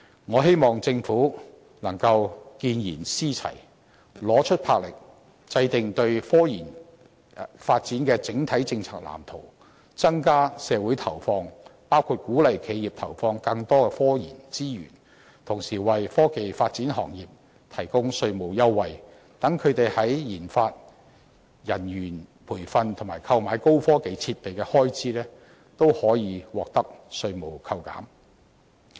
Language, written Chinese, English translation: Cantonese, 我希望政府見賢思齊，拿出魄力，制訂科研發展的整體政策藍圖，增加社會投放，包括鼓勵企業投放更多科研資源，同時為科技發展行業提供稅務優惠，讓他們在研發、人員培訓及購買高科技設備的開支，都可以獲得稅務扣減。, I hope the Government can learn from its admirable counterparts raise determination to formulate an overall policy blueprint for the development in scientific research and increase its allocation to society . Measures to be adopted may include encouraging enterprises to increase resource allocation in scientific research and providing tax concessions for science and technology development industries giving them tax deduction in spending on research and development talent development and acquisition of advanced technological equipment